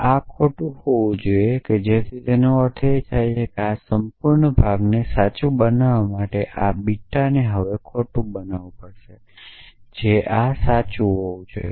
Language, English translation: Gujarati, So, this has to be false, so that means, this beta has to be false now to make this whole part true this has to be true